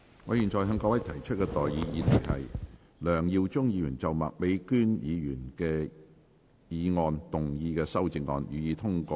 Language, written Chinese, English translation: Cantonese, 我現在向各位提出的待議議題是：梁耀忠議員就麥美娟議員議案動議的修正案，予以通過。, I now propose the question to you and that is That the amendment moved by Mr LEUNG Yiu - chung to Ms Alice MAKs motion be passed